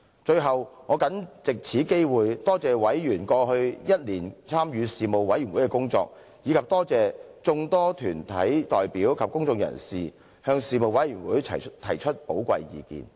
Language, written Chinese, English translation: Cantonese, 最後，我謹藉此機會多謝委員過去一年參與事務委員會的工作，以及多謝眾多團體代表及公眾人士向事務委員會提出寶貴意見。, Lastly I wish to take this opportunity to express my gratitude to members for taking part in the work of the Panel during the past year and to the large number of deputations and individuals for giving their valuable opinions to the Panel